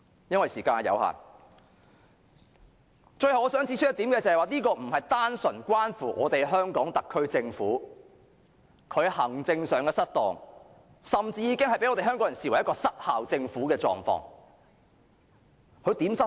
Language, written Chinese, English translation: Cantonese, 由於時間有限，我最後想指出一點，這不是單純關乎香港特區政府行政失當，而是甚至已被香港人視為政府管治失效。, Due to the time restraint I want to raise one last point . The incident not only reflects the maladministration of the HKSAR Government but also its ineffective governance as stated by some people